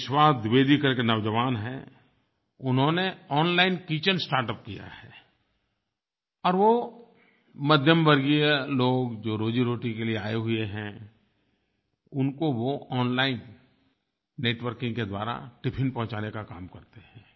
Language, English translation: Hindi, There is young guy named, Vishwas Dwivedi He has an online kitchen startup and he undertakes the work of transporting tiffins to the middle class people, who have gone out for jobs, through online networking